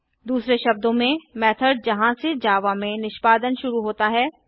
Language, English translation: Hindi, In other words the method from which execution starts with java